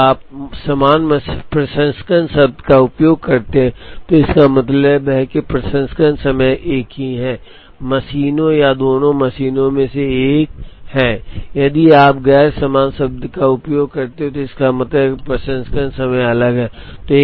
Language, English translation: Hindi, If you use the word identical processing, it means the processing time is the same, on either of the machines or both the machines and if you use the word non identical, it means the processing times are different